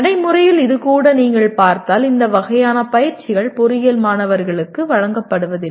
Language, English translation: Tamil, Even this in practice if you see not much of this kind of exercises are given to the engineering students